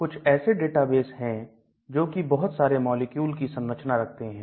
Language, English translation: Hindi, These are some of the databases, which contain structures of large number of molecules